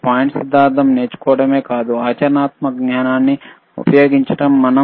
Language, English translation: Telugu, But the point is not only to learn theory, but to use the practical knowledge